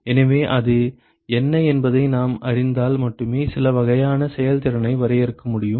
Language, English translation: Tamil, So, only if we know what that is we will be able to define some sort of efficiencies